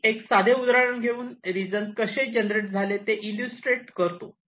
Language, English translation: Marathi, ok, let me take an example to illustrate how this regions are generated